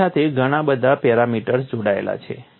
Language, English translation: Gujarati, There are so many parameters attached to it